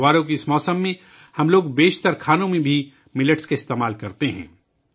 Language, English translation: Urdu, In this festive season, we also use Millets in most of the dishes